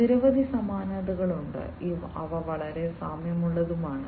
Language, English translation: Malayalam, So, there are many different similarities they are very similar